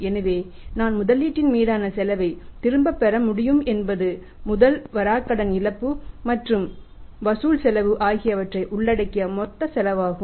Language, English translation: Tamil, So, we should be able to recover the cost of the investment means that is a total cost including the investment cost the bad debt losses as well as the collection cost